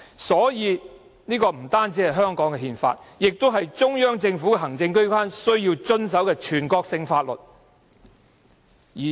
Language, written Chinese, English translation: Cantonese, 所以，《基本法》不單是香港的憲法，更是中央政府行政機關亦須遵守的全國性法律。, Therefore the Basic Law is not only the constitution of Hong Kong but also a national law that all administrative organs of the Central Government shall abide by